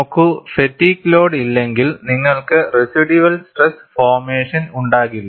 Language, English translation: Malayalam, See, if there is no fatigue loading, you will not have a residual stress formation